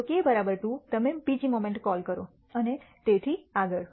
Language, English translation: Gujarati, If k equals 2 you will call the second moment and so on so, forth